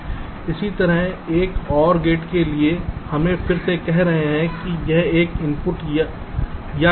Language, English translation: Hindi, similarly, for an or gate, lets say again: ah, an, this is an input or gate